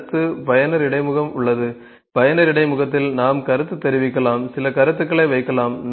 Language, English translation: Tamil, So, next we have user interface, user interface we can have comment, we can put some comments